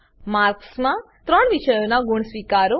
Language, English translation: Gujarati, *In marks, accept marks of three subjects